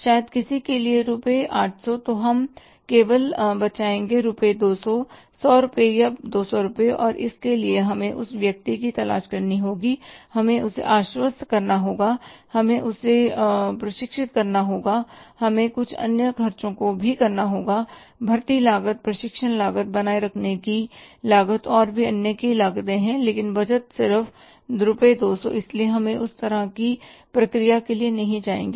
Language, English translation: Hindi, Only 200 rupees, 100 or 200 rupees and for that we have to look for the person we have to convince him, we have to train him, we have to say incur some other expenses hiring costs, training cost, retaining cost so many other costs are there but the saving is just 200 rupees so we will not go for that kind of the process